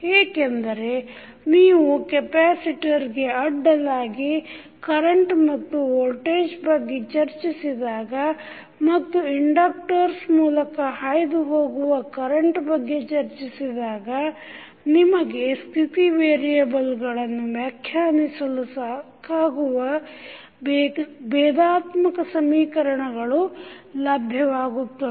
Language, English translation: Kannada, This should lead to a set of first order differential equation because when you talk about the voltage and current voltage across capacitor and current at through inductor you will get the differential equations which is necessary and sufficient to determine the state variables